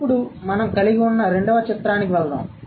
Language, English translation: Telugu, Now let's move to the second picture that we have